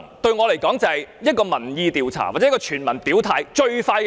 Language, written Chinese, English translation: Cantonese, 對我來說，這是一個民意調查或全民表態的最快方法。, To me it is a public opinion poll or the quickest way for everyone to express their stances